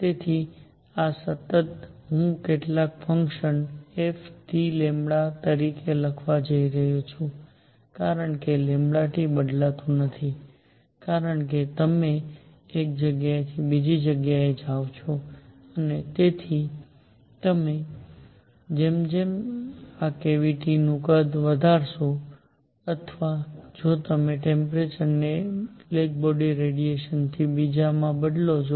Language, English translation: Gujarati, So, this constant; I am going to write as some function f of lambda T because lambda T does not change as you go from one place to the other and therefore, as you increase this cavity size or if you change the temperature from one black body radiation to the other